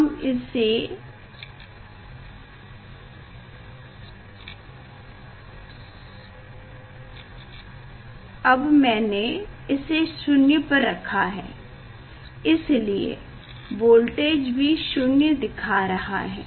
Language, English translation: Hindi, here that is why it showing this voltage is 0